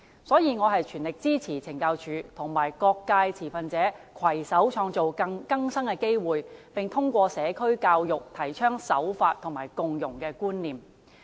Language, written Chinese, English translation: Cantonese, 所以，我全力支持懲教署與各界持份者攜手創造更生機會，並通過社區教育，提倡守法和共融觀念。, Hence I fully support CSD working in collaboration with stakeholders in various sectors to provide rehabilitation opportunities for inmates and promoting the concept of law compliance and social integration through education in the community